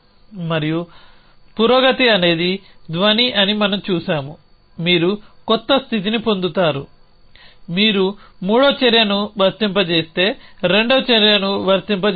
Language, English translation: Telugu, And we have seen that progress is a sound you will get a new state apply the second action to that you apply the third action